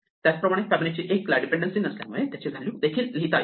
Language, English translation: Marathi, Fibonacci of 1 needs no dependency, so let me write a value for it